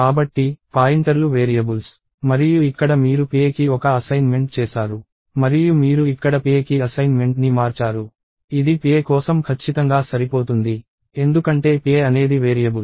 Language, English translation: Telugu, So, this is actually ok to do because, pointers are variables and here you did one assignment to pa and you change the assignment to pa here, which is perfectly fine for pa, because pa is a variable